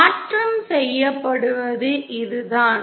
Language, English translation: Tamil, This is the way conversion is done